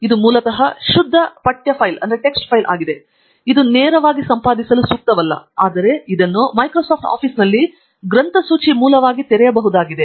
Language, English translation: Kannada, It is basically pure text file, this may be not amenable for editing directly, but it can be opened in Microsoft Office as a bibliographic source